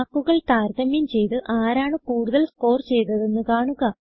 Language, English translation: Malayalam, Compare the marks to see which student has scored the highest